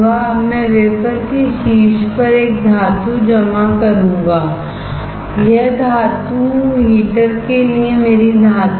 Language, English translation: Hindi, Now, I will deposit a metal on the top of the wafer and this metal is my metal for heater